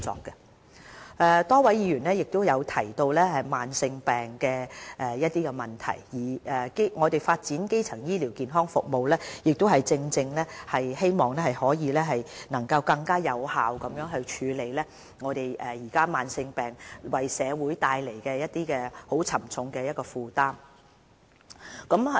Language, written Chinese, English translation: Cantonese, 剛才有多位議員曾提及慢性病的問題，我們發展基層醫療健康服務，亦正正希望可以能更有效地處理目前慢性病為社會帶來的沉重負擔。, Just now some Members have talked about chronic diseases . The development of primary health care services precisely seeks to effectively relieve the heavy health care burden brought about by chronic diseases